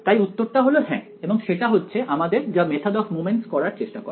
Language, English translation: Bengali, So, the answer is yes and that is what the method of moments tries to do